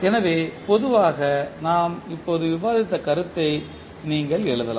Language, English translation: Tamil, So, in general you can write this the concept which we just discussed